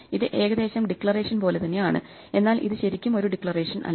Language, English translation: Malayalam, This is more or less like a declaration except it is not quite a declaration